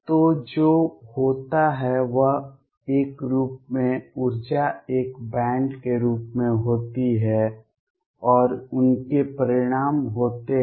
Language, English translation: Hindi, So, what happens is a form, the energy is in the form of a band and they have consequences